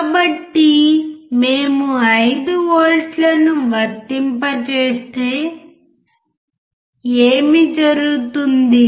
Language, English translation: Telugu, So, what happens when we apply 5 volts